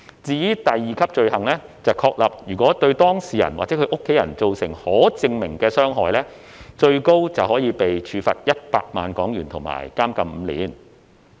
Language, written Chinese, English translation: Cantonese, 至於第二級罪行則確立，如果對當事人或其家人造成可證明的傷害，最高可被處罰100萬港元及監禁5年。, The second tier offence which is committed if specified harm is caused to the data subject or his or her family member is punishable by a fine of up to 1 million and imprisonment for up to five years